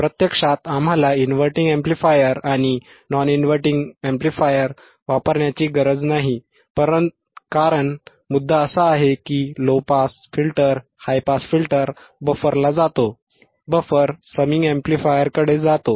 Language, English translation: Marathi, Actually, we areneed not usinge inverting amplifier and non inverting amplifier or we can use, the point is low pass high pass goes to buffer, buffer to a summing amplifier